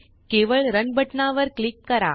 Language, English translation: Marathi, Just click on the button Run